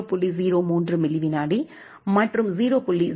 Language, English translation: Tamil, 03 millisecond, 0